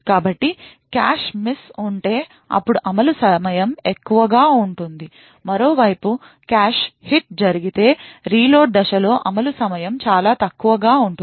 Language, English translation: Telugu, So, note that if there is a cache miss, then the execution time will be high, on the other hand if a cache hit occurs then the execution time during the reload phase would be much lower